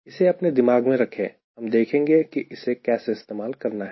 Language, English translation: Hindi, keep this back of your mind will see how to use this